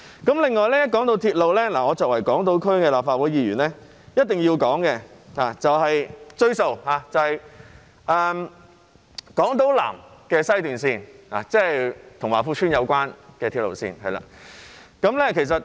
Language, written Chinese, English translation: Cantonese, 此外，談到鐵路，作為港島區立法會議員，我一定要"追數"，就是南港島綫，即與華富邨有關的鐵路線。, Speaking of railways as a Member of the Legislative Council of Hong Kong Island I must chase the debt about the South Island Line West that is the railway line related to Wah Fu Estate